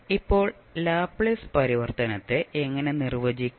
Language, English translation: Malayalam, Now, how we will define the Laplace transform